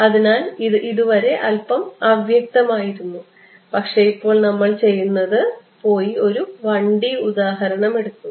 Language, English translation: Malayalam, So, it has been a little vague so far, but now what we will do is drive home the point let us take a 1D example so